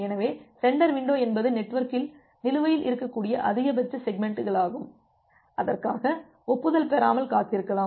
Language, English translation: Tamil, So, the sender window is the maximum amount of segments that can be outstanding in the network and for that you can wait without getting an acknowledgement